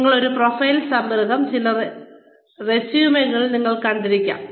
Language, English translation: Malayalam, And, a profile summary is, you must have seen this, in some resumes